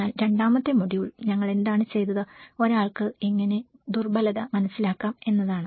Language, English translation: Malayalam, The second module, what we did was the, how one can understand the vulnerability